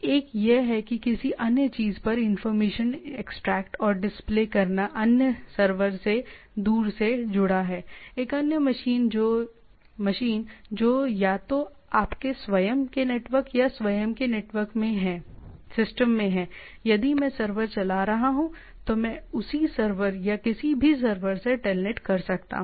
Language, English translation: Hindi, One is that extracting information and display on the thing another is remotely connection to a another server, another machine which is either in the in your own network or own system I can telnet if the server is running from that I can telnet to the same server or in any server in the things